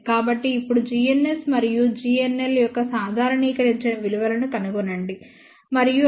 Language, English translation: Telugu, So, now find out the normalized values of g ns and g nl and that comes out to be 0